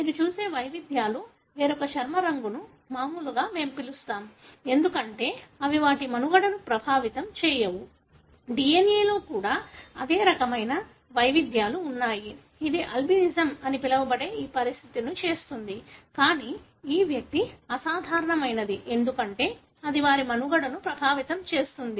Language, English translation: Telugu, Whether the variations that you see which gives a different skin colour which we call as normal, because it doesn’t affect their survival, the same kind of variations are also there in the DNA which makes this condition called Albinism, but this individual is abnormal, because it affects their survival